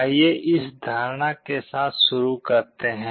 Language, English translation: Hindi, Let us start with this assumption